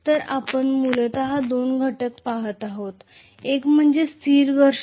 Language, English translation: Marathi, So we are essentially looking at two components, one is like a static friction